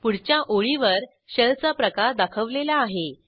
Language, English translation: Marathi, The shell type is displayed on the next line